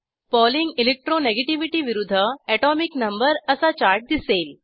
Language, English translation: Marathi, A chart of Pauling Electro negativity versus Atomic number is displayed